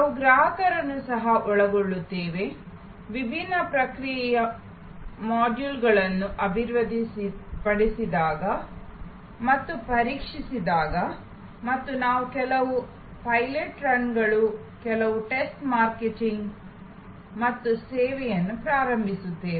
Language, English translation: Kannada, We also involve the customers, when the different process modules are developed and tested and then, we do some pilot runs, some test marketing and launch the service